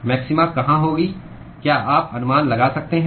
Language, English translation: Hindi, Where will be the maxima can you guess